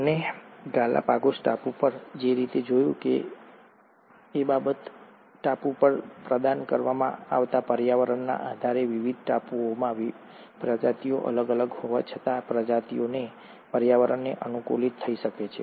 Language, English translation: Gujarati, The other thing that he observed as he found in the Galapagos Island, is that though the species were different in different islands, based on the environment which was being provided by the island, the species could adapt to that environment